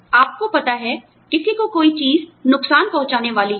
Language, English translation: Hindi, You know, something is going to harm, somebody